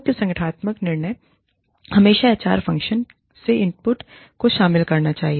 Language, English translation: Hindi, Major organizational decisions, should always involve input, from the HR function